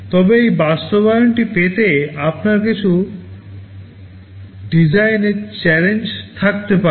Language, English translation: Bengali, But in order to have this implementation, you may have some design challenges